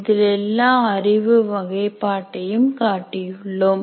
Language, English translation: Tamil, And on this, we are showing all the knowledge categories